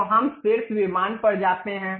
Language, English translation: Hindi, So, let us go to top plane